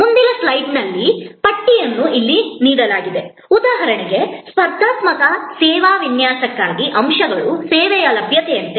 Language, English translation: Kannada, A list is provided in the next slide here for example, for a competitive service design, the elements are like availability of the service